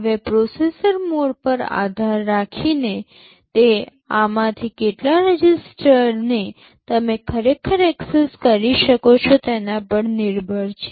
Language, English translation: Gujarati, Now, depending on the processor mode, it depends how many of these registers you can actually access